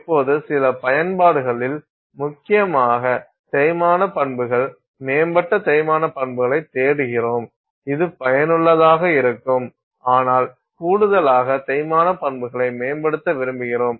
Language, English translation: Tamil, Now, in some applications where you are essentially looking for wear properties improved wear properties this is useful to have but in addition we also want wear property to improve